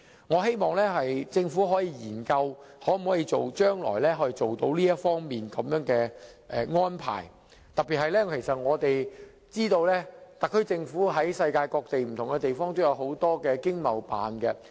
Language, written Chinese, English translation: Cantonese, 我希望政府可以研究將來作出這方面的安排，特別是我們知道特區政府在世界各地設有經濟貿易辦事處。, I hope the Government can examine the formulation of this arrangement in the future . In particular we are aware that the SAR Government has already set up Economic and Trade Offices in various places of the world